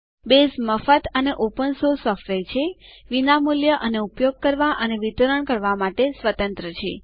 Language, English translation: Gujarati, Base is free and open source software, free of cost and free to use and distribute